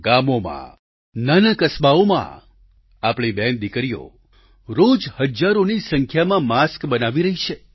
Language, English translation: Gujarati, In villages and small towns, our sisters and daughters are making thousands of masks on a daily basis